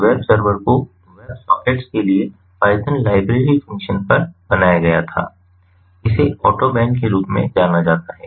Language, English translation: Hindi, so this web server was made on a library function, python library function for web sockets, ah it